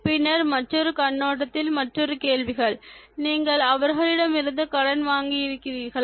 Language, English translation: Tamil, And then, another set of questions from another perspective: Have you borrowed money from others